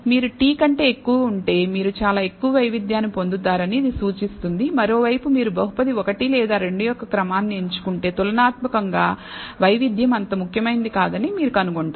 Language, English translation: Telugu, So, it indicates that if you over t, you will get a very high variability whereas on the other hand if you choose order of the polynomial 1 or 2 you will find that the variability is not that significant comparatively